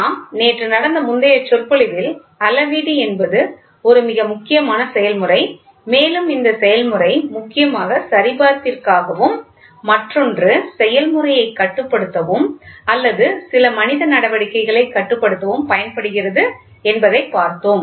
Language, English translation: Tamil, So, yesterday we saw when we had previous lecture, we saw very clearly that measurement is a very important process and this process is also used majorly one for validation, other also to control the process or control some man operations